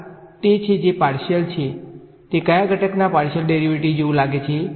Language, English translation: Gujarati, This is the, it is a partial it looks like a partial derivative of which component